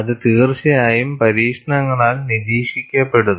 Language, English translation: Malayalam, It is indeed observed in experiments